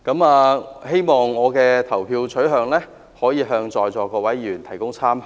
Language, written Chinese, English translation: Cantonese, 我希望我的投票取向，能為在座各位議員提供參考。, I hope my personal voting preference will serve as a reference for Members present here